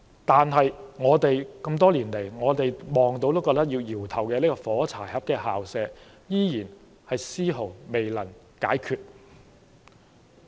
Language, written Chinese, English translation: Cantonese, 但是，這麼多年來，我們看到也會搖頭的"火柴盒校舍"問題，依然絲毫未能解決。, But we cannot help but shake our head when we see the unresolved problem of matchbox school premises that has existed for many years